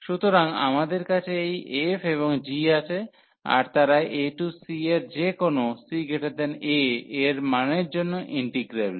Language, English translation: Bengali, So, we have this f and g they are integrable over the range a to c for any value of c greater than a